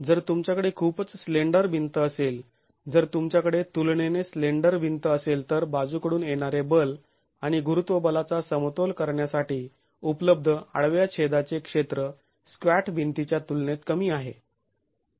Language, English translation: Marathi, Let us say if the wall is not a very squat wall, if you have a very slender wall, if you have a relatively slender wall, then the area of cross section available for equilibrium the lateral forces and the gravity force is smaller in comparison to a squat wall